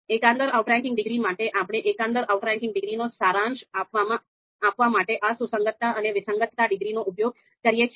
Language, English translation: Gujarati, And then for the global outranking degree, we then use these concordance and discordance degrees to summarize the global outranking degree